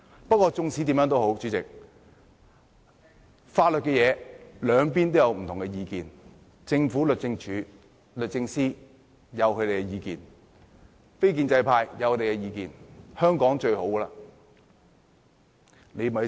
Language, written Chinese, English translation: Cantonese, 不過，無論如何，主席，在法律問題上，兩邊也有不同意見，政府及律政司有他們的意見，非建制派有他們的意見。, Anyhow Chairman on the legal issues the two sides have different views . The Government and DoJ simply do not see eye to eye with Members from the non - establishment camp